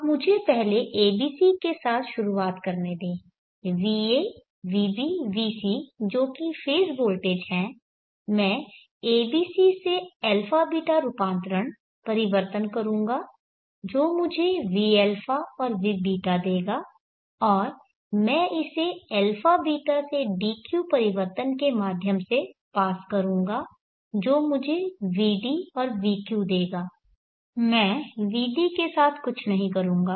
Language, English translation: Hindi, Consider the phase voltages va vb vc I will pass it through a b c to a beeta transformation I will get v a v beeta, and I will pass that to a beeta to deuce transformation and I will get vd vq, now there is